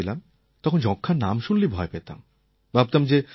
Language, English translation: Bengali, When I was a child we would be scared by the very mention of the word TB